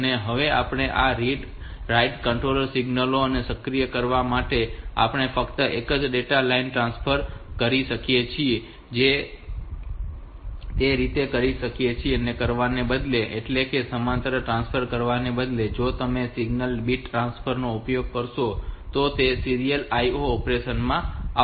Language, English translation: Gujarati, Then we have to activate this read write control signals and we can transfer only one data line they can be so instead of doing that instead of doing this parallel transfers if you use a single bit transfer then will come to the serial IO operation